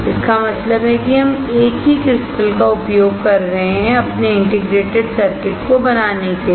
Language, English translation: Hindi, It means that we are using a single crystal to fabricate our integrated circuit